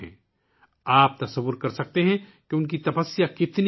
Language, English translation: Urdu, You can imagine how great his Tpasya is